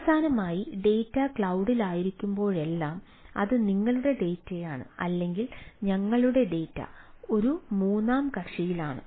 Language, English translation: Malayalam, finally, whenever the data is in cloud, it is your data ah or our data is on third party right